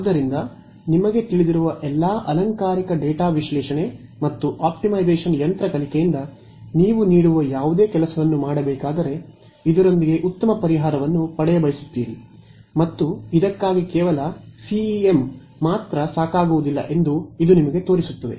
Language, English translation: Kannada, So, all you know fancy data analytics and optimization machine learning whatever you can throw at it needs to be done to get a good solution with this and it also shows you that just CEM alone is not enough for this problem